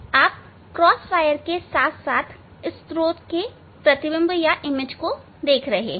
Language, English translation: Hindi, You are seeing the cross wire as well as the image of the source